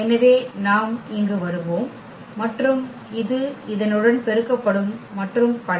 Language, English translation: Tamil, So, we will get here then this will be multiplied to this and so on